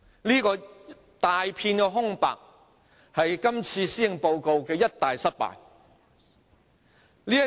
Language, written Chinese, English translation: Cantonese, 這一大片空白是這份施政報告的一大失敗之處。, This grave omission is a big failure of this Policy Address